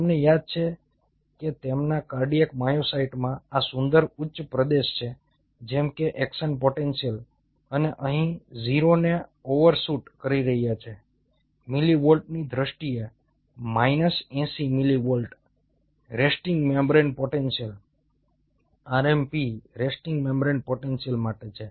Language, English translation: Gujarati, you remember that their cardiac myocytes have this beautiful plateau like action potential and here is, of course, overshooting the zero in terms of the millivolt, sitting on minus eighty millivolt resting membrane potential